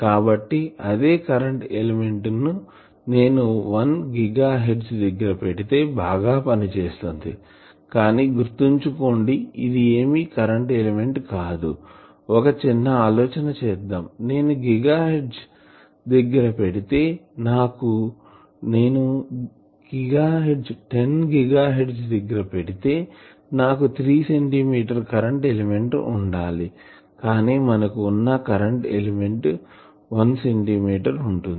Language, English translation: Telugu, So, the same current element, if I operate at 1 gigahertz it will be efficient, but then it would not be a current element remember that, suppose I operate it at 10 gigahertz 10 gigahertz means 3 centimeter the current element itself its d l is 1 centimeter